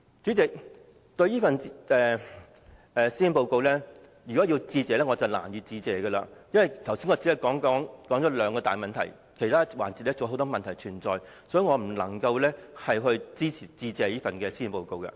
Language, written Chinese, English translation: Cantonese, 主席，對於這份施政報告，我實在難以致謝，因為我剛才只說了兩個大問題，而其他範疇還有很多問題，所以我不能支持這項致謝議案。, President I am indeed unable to give thanks for the Policy Address because I have discussed just two major problems and there are still many in other areas . Therefore I cannot support the Motion of Thanks